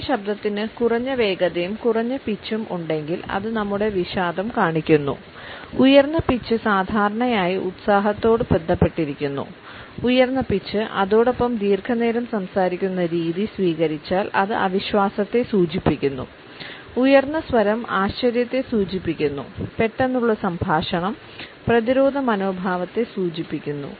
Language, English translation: Malayalam, If our voice has low speed and low pitch it shows our depression high pitch is normally associated with enthusiasm and eagerness, high pitch but a long drawn out way of speaking suggest our disbelief, accenting tone suggest astonishment and abrupt speech also shows our defensive attitude